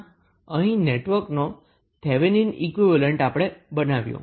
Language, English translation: Gujarati, So, here we have created Thevenin equivalent of the network